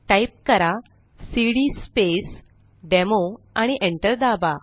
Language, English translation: Marathi, So type cd Space Demo and hit Enter ls, press Enter